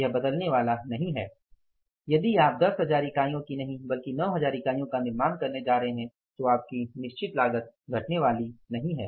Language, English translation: Hindi, It is not going to change that if you are going to manufacture the 9,000 units not 10,000 units then your fixed cost is going to come down no